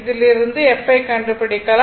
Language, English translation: Tamil, So, from which we will get f is equal to 2